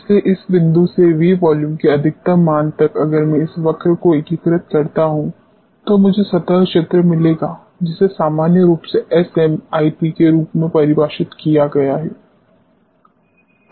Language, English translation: Hindi, So, from this point to maximum value of the V volume if I integrate this curve, I will get the surface area which is normally defined as S MIP